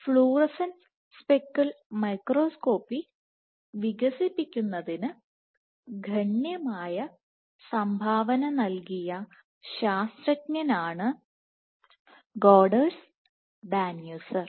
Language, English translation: Malayalam, So, there are authors Goderns Danuser is a mathematician who has significantly contributed to the development of fluorescence speckle microscopy